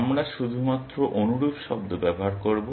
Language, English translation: Bengali, We will use similar term only